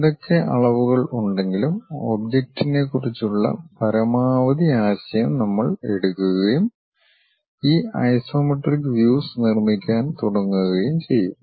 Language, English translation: Malayalam, Whatever the dimensions give you maximum maximum idea about the object that one we will take it and start constructing these isometric views